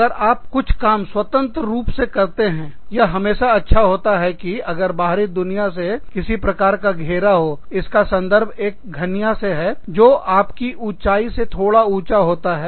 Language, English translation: Hindi, If you have to do, some work independently, it is always nice to have, some sort of barrier, against the rest of the world, in terms of a cubicle, that is about, little higher than your own height